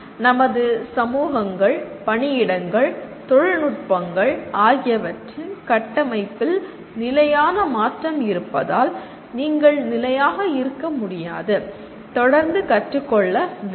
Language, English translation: Tamil, Because of the constant change in the structure of our communities, work places, technologies you cannot remain static and you have to constantly learn on the fly